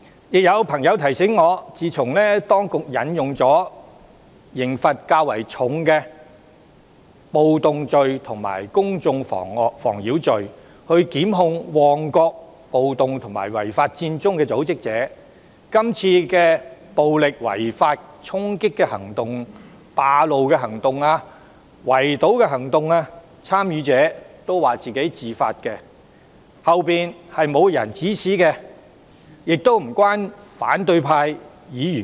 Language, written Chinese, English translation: Cantonese, 亦有朋友提醒我，自當局引用刑罰較重的暴動罪及公眾妨擾罪，檢控旺角暴動及違法佔中的組織者後，今次暴力違法衝擊、佔路及圍堵行動的參與者都說是自發的，背後沒有人指使，亦與反對派議員無關。, A friend also reminded me that subsequent to the prosecutions of the organizers of the Mong Kok riot and the illegal Occupy Central under charges of taking part in a riot or public nuisance which are punishable by heavier penalties participants of this wave of illegal storming road - occupying and blockading actions all insist that they have acted of their own accord denying the existence of masterminds behind the scene or any involvement with Members of the opposition camp